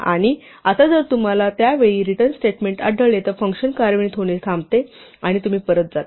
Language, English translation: Marathi, And now if you encounter a return statement at that point the function stops executing and you go back